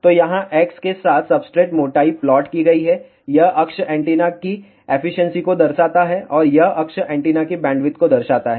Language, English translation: Hindi, So, here is the plot substrate thickness is plotted along the x axis, this axis shows the efficiency of the antenna and this axis shows bandwidth of the antenna